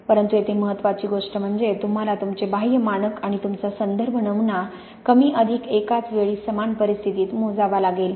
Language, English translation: Marathi, But the important thing here, you have to really measure your external standard and your reference sample under the same conditions at more or less the same time